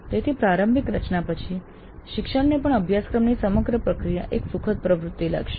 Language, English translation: Gujarati, So after the initial design the teacher would even find the entire process of course design a pleasant activity